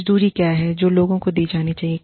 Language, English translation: Hindi, What is the wage, that needs to be given to people